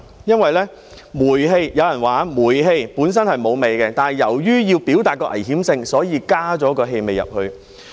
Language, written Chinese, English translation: Cantonese, 有人說煤氣本身沒有氣味，但由於要表達危險性，所以加入了氣味。, Some people say that natural gas is odourless but owing to the need to convey its danger an odour is added